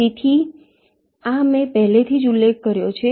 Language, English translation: Gujarati, ok, so this already i have mentioned